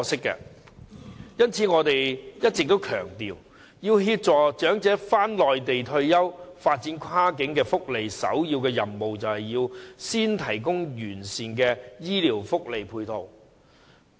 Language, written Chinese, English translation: Cantonese, 因此，我一直強調，要協助長者返回內地退休，發展跨境福利的首要任務是先提供完善的醫療福利配套。, For these reasons I have always emphasized that the primary task in the development of cross - boundary welfare benefits is the provision of comprehensive health care benefits and support so as to assist elderly people in moving to the Mainland for retirement